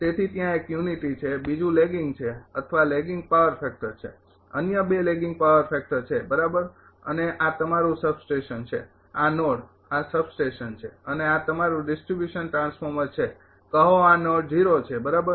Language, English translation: Gujarati, So, there one is unity, another is lagging or lagging power factor are the 12 lagging power factor right, and this is your substation this this node this is substation, and this is your distribution transformer say this node is O right